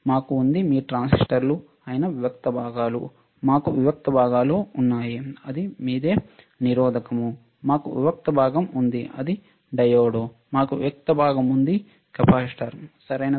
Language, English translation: Telugu, We have discrete components that is your transistors, we have discrete components, that is your resistor, we have discrete component, that is your diode we have discrete component that is your capacitor, right